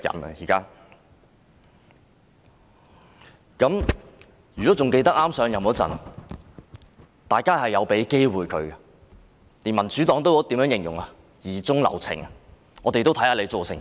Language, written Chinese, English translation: Cantonese, 還記得她上任之初，大家曾給予她機會，連民主黨也形容為疑中留情，想先看看她的表現。, I remember that initially after her assumption of office we had given her a chance . Even the Democratic Party described it as giving her the benefit of doubt intending to look at her performance first